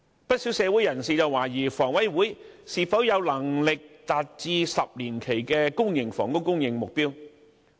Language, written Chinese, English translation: Cantonese, 不少社會人士懷疑香港房屋委員會是否有能力達致10年期的公營房屋供應目標。, Many members of the community doubt whether the Hong Kong Housing Authority is capable of achieving the 10 - year public housing supply target